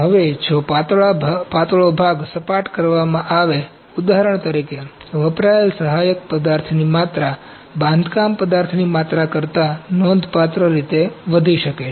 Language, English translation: Gujarati, Now, if a thin part is laid flat, for example, the amount of support material consumed may be significantly exceed the amount of build material